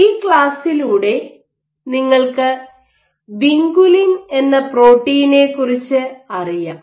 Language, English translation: Malayalam, So, by now through this class you have got to know about protein called vinculin